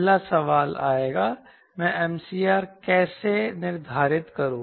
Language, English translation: Hindi, first question will come: how do i determine m critical